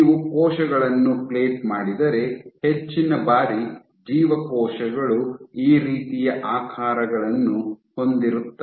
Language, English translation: Kannada, So, if you plate cells in culture most of the times the cells will have shapes like this